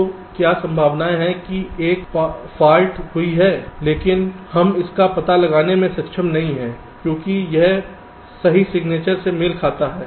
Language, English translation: Hindi, so what is the probability that a fault has occurred but we are not able to detect it because it has matched to the correct signature